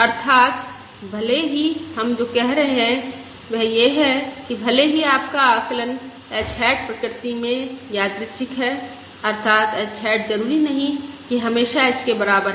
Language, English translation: Hindi, That is, even though what we are saying is, even though your estimate h hat is random in nature, that is, h hat is not necessarily always equal to h